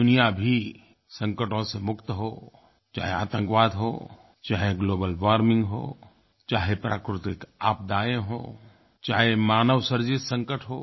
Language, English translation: Hindi, May the world be free of crises, be it from terrorism, from global warming or from natural calamities or manmade tragedies